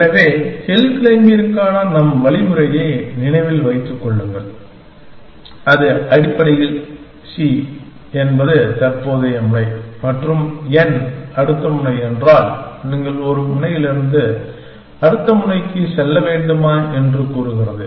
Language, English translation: Tamil, So, remember our algorithm for hill climbing and it basically says that, if c is a current node and if n is a next node, whether you should move from a node to a next node